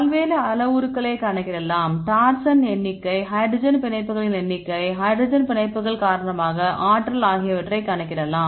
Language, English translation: Tamil, Then the right said we can calculate various parameters for example, torsion number of torsions, number of hydrogen bonds, energy due to hydrogen bonds